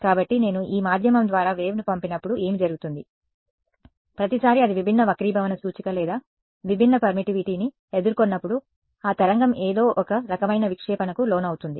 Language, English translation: Telugu, So, what happens is when I send a wave through this medium, every time it encounters different refractive index or different permittivity that wave has to undergo some kind of scattering we have seen that